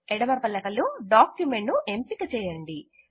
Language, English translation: Telugu, In the left pane, select Document